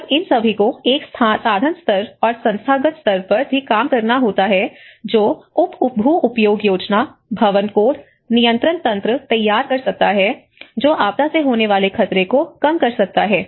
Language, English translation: Hindi, When all these has to work in an instrumental level and also the institutional level, which can formulate land use planning, the building codes, the control mechanisms which can reduce the disaster risk from hazard